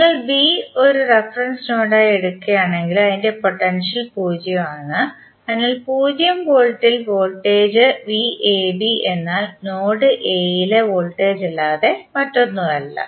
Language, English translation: Malayalam, So, if you take B as a reference node then it is potential can be at 0 degree, so at 0 volt and voltage V AB is nothing but simply voltage at node A